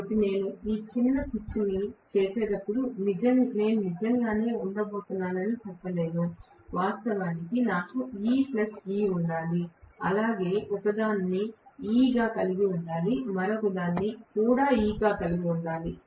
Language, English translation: Telugu, So, whenever I do short pitching I cannot say that I am going to have actually, originally I should have E plus E, I should have had one of them as E another one also as E